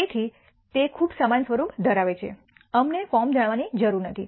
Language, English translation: Gujarati, So, it has very similar form we do not need to know the form